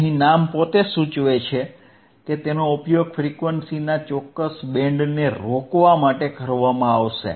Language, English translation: Gujarati, The name itself indicates that it will be used to stop a particular band of frequencies right